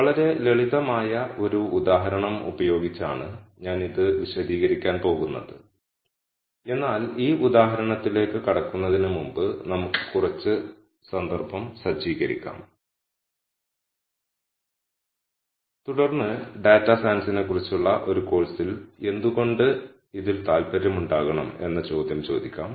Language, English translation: Malayalam, And I am going to explain this using a very simple example, but before we dive into this example let us set some context and then ask the question as to why we should be interested in this in a course on data science